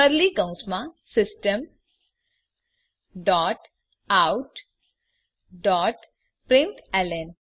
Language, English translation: Gujarati, Within curly brackets type System dot out dot println